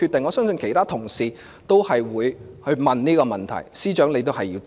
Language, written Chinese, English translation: Cantonese, 我相信其他同事都會問這個問題，司長是要回答的。, I believe other colleagues will also ask this question and the Secretary has to answer it